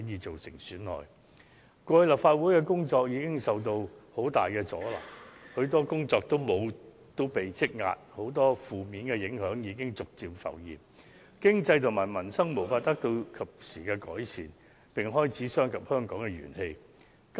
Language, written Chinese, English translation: Cantonese, 立法會以往的工作已受到極大阻撓，積壓大量工作，許多負面影響已陸續浮現，致使經濟及民生無法及時得到改善，並已損及香港的元氣。, The work progress of the Legislative Council was greatly obstructed and there has been a huge backlog of work to do . And with the negative impacts surfaced gradually it is impossible to make timely improvements to the economy as well as peoples livelihood which has in turn harmed Hong Kongs vigour